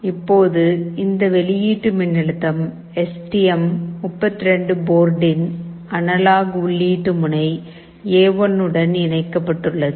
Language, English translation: Tamil, Now this output voltage we have connected to the analog input pin A1 of the STM32 board